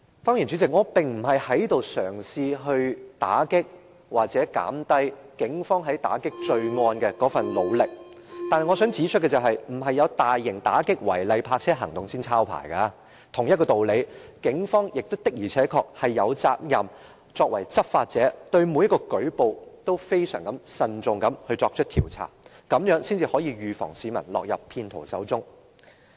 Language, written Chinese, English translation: Cantonese, 主席，我並不是嘗試打擊或貶低警方在打擊罪案的那份努力，但我想指出，警方不是有大型打擊違例泊車行動時才抄牌，同一道理，警方作為執法者的確有責任對每一個舉報都非常慎重地作出調查，這樣才能預防市民落入騙徒手中。, President I am not trying to belittle or disparage the effort made by the Police in combating crime . However I would like to point out that the Police would issue penalty tickets not only during large - scale anti - illegal parking operations . By the same token the Police as the enforcement agency are obliged to conduct an extremely cautious investigation into each and every reported case as this may prevent the public from falling into traps of fraudsters